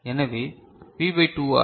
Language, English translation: Tamil, So, V by 2R